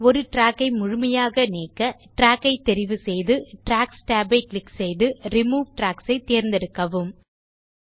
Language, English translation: Tamil, To remove a track completely, select the track, click on Tracks tab and select Remove Tracks